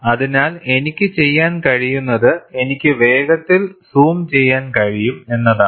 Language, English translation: Malayalam, So, I think, what I can do is, I can quickly zoom it